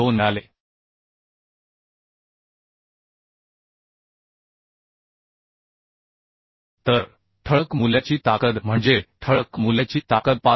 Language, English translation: Marathi, 2 So the strength of bolt value means strength of bolt will be 65